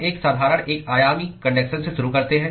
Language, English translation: Hindi, We start with a simple one dimensional conduction